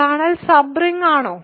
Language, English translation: Malayalam, Is kernel a sub ring